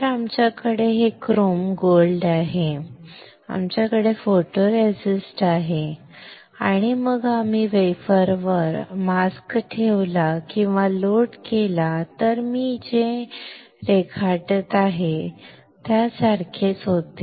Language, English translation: Marathi, So, we have this chrome gold, we have photoresist, and then we placed or load the mask on the wafer then mask was similar to what I am drawing almost similar